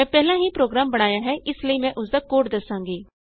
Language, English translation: Punjabi, I have already made the program, so Ill explain the code